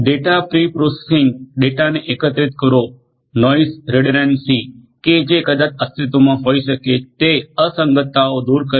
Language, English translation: Gujarati, Pre processing of the data connecting, the data removing noise redundancy that might be existing inconsistencies, that might be found out